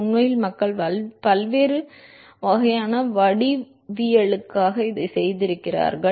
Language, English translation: Tamil, In fact, people have done this for different kinds of geometries